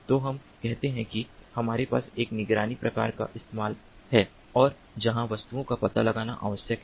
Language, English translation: Hindi, so let us say that we have a surveillance kind of application and where it is required to detect objects